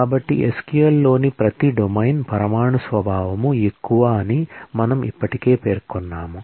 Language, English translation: Telugu, So, we have already specified that, every domain in SQL is more of an atomic nature